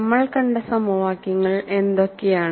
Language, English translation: Malayalam, And what are the equations we saw